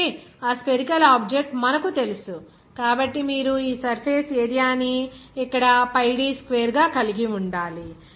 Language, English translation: Telugu, Since, it is you know that spherical object, so you have to have this surface area as pi d square here